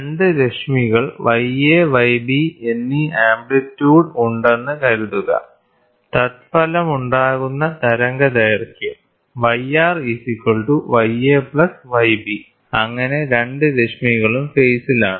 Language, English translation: Malayalam, Suppose a 2 rays have amplitude y A and y B, then the resultant wavelength y R is going to be y A plus y B